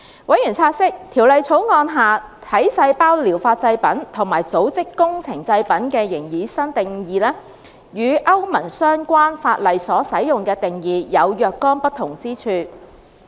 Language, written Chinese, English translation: Cantonese, 委員察悉，《條例草案》下"體細胞療法製品"和"組織工程製品"的擬議新定義，與歐盟相關法例所使用的定義有若干不同之處。, Members noted that the proposed new definitions of somatic cell therapy product and tissue engineered product under the Bill differed from those used in the relevant EU legislation